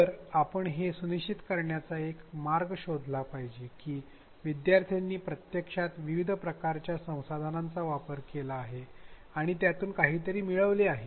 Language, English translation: Marathi, So, we have to find a way to ensure that learners actually access this variety of resources and gain from it